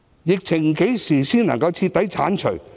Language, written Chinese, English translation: Cantonese, 疫情何時才能徹底結束？, When will the epidemic be completely over?